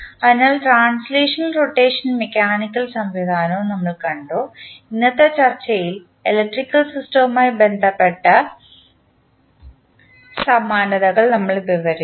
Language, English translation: Malayalam, So, we have seen the translational as well as rotational mechanical system and we described the analogies with respect to the electrical system in today’s discussion